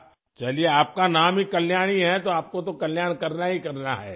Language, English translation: Urdu, Well, your name is Kalyani, so you have to look after welfare